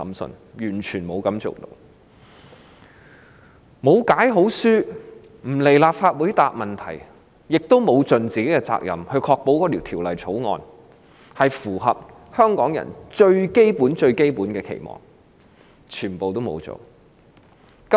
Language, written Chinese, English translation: Cantonese, 律政司司長沒有好好解說、沒有來立法會回答問題，也沒有善盡責任，確保《條例草案》符合香港人最基本的期望。, The Secretary for Justice had not given a good explanation . She had never come to the Legislative Council to answer questions and had not properly discharged her duties to ensure that the Bill could meet the most basic expectations of Hong Kong people